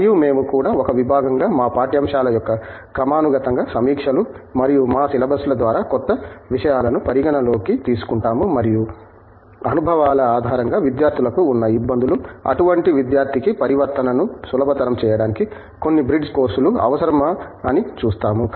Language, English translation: Telugu, And, we also in the department as a department we go through a periodic reviews of our curriculum as well as our syllabus to take into account new things that have taken place and also to see whether in a based on a experiences, difficulties that students have, whether some bridge courses are required to make the transition easy for such student